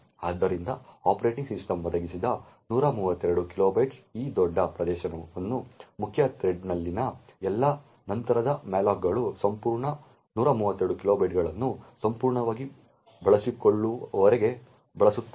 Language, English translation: Kannada, So, this large area of 132 kilobytes which the operating system has provided will then be used by all subsequent malloc in the main thread until that entire 132 kilobytes gets completely utilised